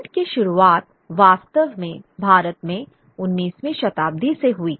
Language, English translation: Hindi, Print really takes root only by the 19th century in India